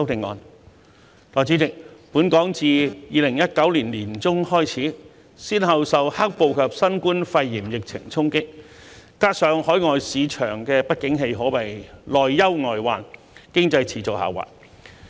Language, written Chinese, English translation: Cantonese, 代理主席，本港自2019年年中開始，先後受"黑暴"及新冠肺炎疫情衝擊，加上海外市場不景氣，可謂內憂外患，經濟持續下滑。, Deputy President since the middle of 2019 Hong Kong has been hit by black - clad violence and the COVID - 19 epidemic . Given this coupled with the downturn in overseas markets it can be said that internal and external problems abound and the economy continues to decline